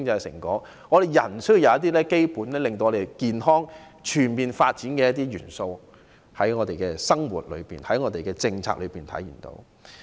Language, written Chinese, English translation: Cantonese, 社會需有能讓人健康地全面發展的基本元素，但在我們的生活和政策內卻看不到這些元素。, It is necessary that society should possess the basic elements that enable healthy and all - round people development . Nevertheless such elements are absent from our daily lives and public policies